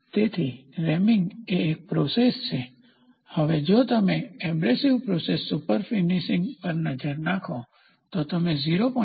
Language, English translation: Gujarati, So, reaming is a process, now if you look at abrasive processes superfinishing, you can go up to 0